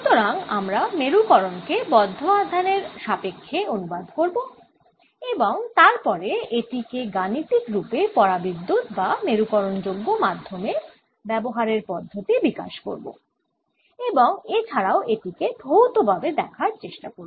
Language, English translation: Bengali, so we will translate polarization into bound charges and then develop in mathematics of dealing with dielectrics or polarizable medium and try to see it physically also